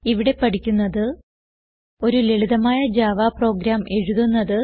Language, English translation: Malayalam, In this tutorial we will learn To create a simple Java program